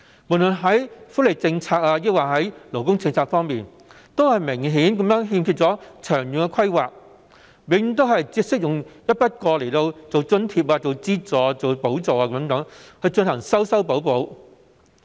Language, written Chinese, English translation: Cantonese, 不論是福利政策或勞工政策，都明顯欠缺長遠的規劃，永遠只懂得用一筆過津貼、資助和補助等進行修修補補。, There is an obvious lack of long - term planning in respect of welfare policies or labour policies . As always the Government only provides one - off allowances subsidies grants etc